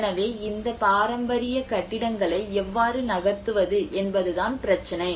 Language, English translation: Tamil, So the problem is how to move these heritage buildings